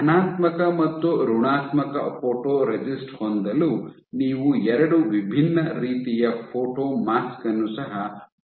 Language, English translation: Kannada, So, in order to have positive and negative photoresist you also will have two different types of photomask